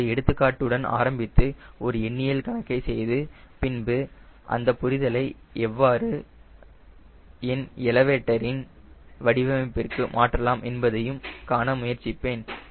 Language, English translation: Tamil, i will start with an example, an numerical problem, and then come back and try to see how you can translate this to understanding, into the design of an elevator